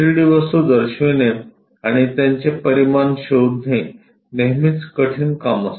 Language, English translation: Marathi, Showing 3 D objects and having dimensions is always be difficult task finding them